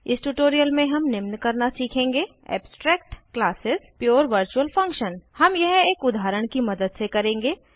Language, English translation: Hindi, In this tutorial we will learn, *Abstract Classes *Pure virtual function *We will do this through an example